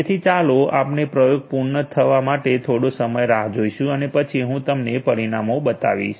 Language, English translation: Gujarati, So, just let us waste some time to complete the experiment and then I we will show you the results